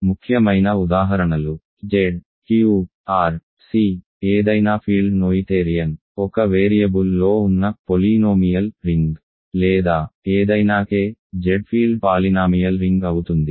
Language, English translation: Telugu, And the important important examples are Z, Q, R, C, any field of course, any field is noetherian; any field, polynomial ring over in one variable or any field K is any field polynomial ring over Z